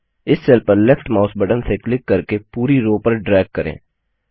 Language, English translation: Hindi, Now hold down the left mouse button on this cell and drag it across the entire row